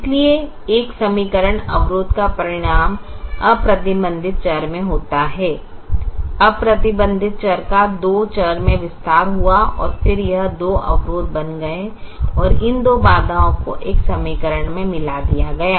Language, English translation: Hindi, the, the unrestricted variable got expanded to two variables and then it became two constraints and these two constraints were merged into to an equation